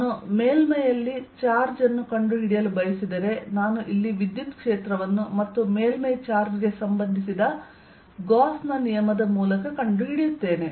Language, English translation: Kannada, if i want to find the charge on the surface, i will find the electric field here and by gauss's law, related to the surface charge